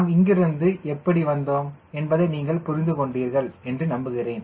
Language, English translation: Tamil, i hope you have understood how we have come from here to here